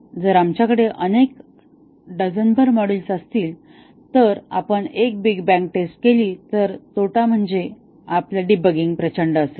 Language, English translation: Marathi, If we have several dozens of modules and we do a big bang testing, then the disadvantage is that our debugging process will be enormous